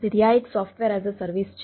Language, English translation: Gujarati, so this is the software as a service